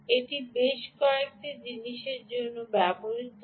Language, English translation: Bengali, it is used for several things